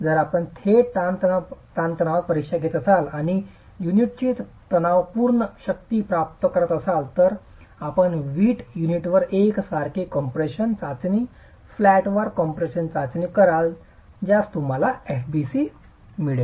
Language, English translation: Marathi, If you were to do a direct tension test and get the tensile strength of the unit, you do a uniaxial compression test, flatwise compression test on the brick unit, you get FBC